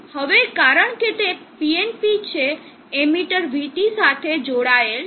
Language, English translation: Gujarati, Now because it is PNP the emitter is connected to VT